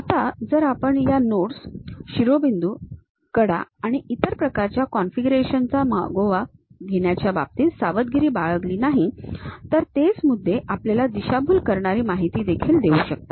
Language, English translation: Marathi, Now, if we are not careful in terms of tracking these nodes, vertices, edges and other kind of configuration, the same points may give us a misleading information also